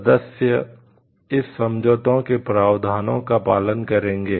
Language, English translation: Hindi, Members shall give effect to the provisions of this agreement